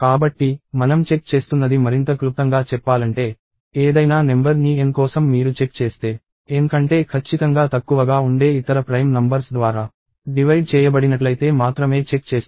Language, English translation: Telugu, So, to put it more succinctly what we are checking is, for any number N you are going to check only if it is divisible by other prime numbers that are strictly less than N or not